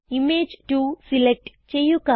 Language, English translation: Malayalam, Now click on Image 2